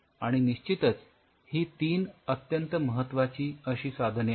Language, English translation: Marathi, So, definitely these 3 are some of the very important tools